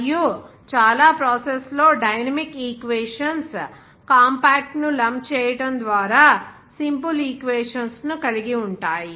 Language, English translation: Telugu, And most of the process dynamic equations are made to have simple equations by lumping compact